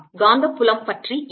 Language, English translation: Tamil, what about the magnetic field